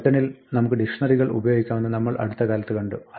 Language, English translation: Malayalam, We saw recently that we can use dictionaries in python